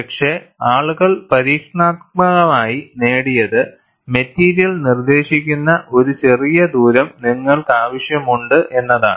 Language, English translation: Malayalam, But what people have experimentally obtained is, you need to have a smaller radius which is dictated by the material